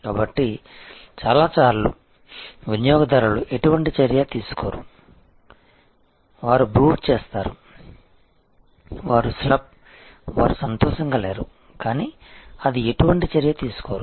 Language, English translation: Telugu, So, and of course, many times customers take no action, they brood, they are the slurp, they are unhappy, but that take no action